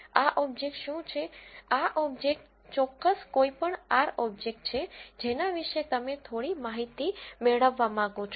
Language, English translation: Gujarati, What is this object, this object is essentially any R object about which you want to have some information